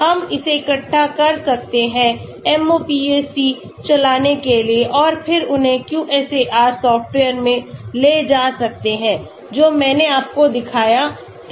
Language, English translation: Hindi, We can collect it running MOPAC and then again take them to the QSAR software, which I showed you